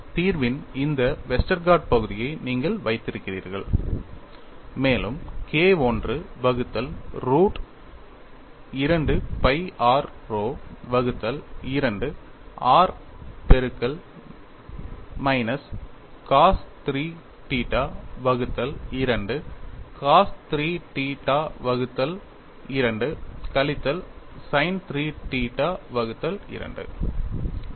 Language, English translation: Tamil, You had this Westergaard part of the solution plus you have K 1 by root of 2 pi r rho by 2 r multiplied by minus cos 3 theta by two cos 3 theta by 2 minus sin 3 theta by 2